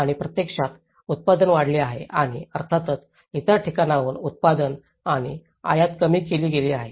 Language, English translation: Marathi, And that has actually, the production has increased and obviously, the productions and the imports from other places has been decreased